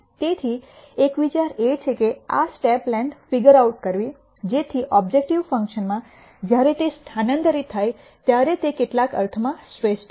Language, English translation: Gujarati, So, one idea is to gure out the step length, so that this when substituted into the objective function is an optimum in some sense